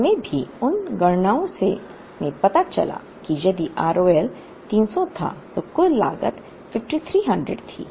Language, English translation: Hindi, We also, in those computations found out that if R O L was 300, the total cost was 5300